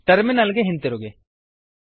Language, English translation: Kannada, Switch back to the terminal